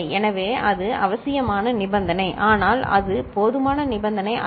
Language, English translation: Tamil, So, that is a necessary condition, but it is not a sufficient condition